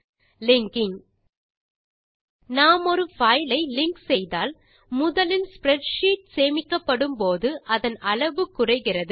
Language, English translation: Tamil, Linking When we link a file: First, it reduces the size of the spreadsheet when it is saved Since our spreadsheet does not contain the image